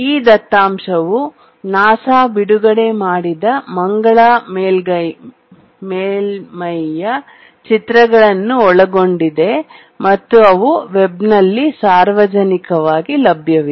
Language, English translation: Kannada, And these data included pictures of the Mars surface and which were released by NASA and were publicly available on the web